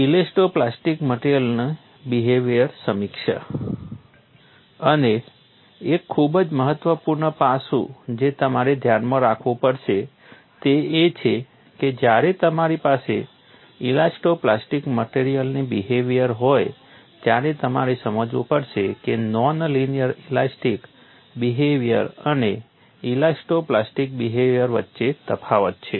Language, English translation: Gujarati, And one of the very important aspects that you will have to keep in mind is when you have an elasto plastic material behavior, you will have to realize, there is a difference between non linear elastic behavior and elasto plastic behavior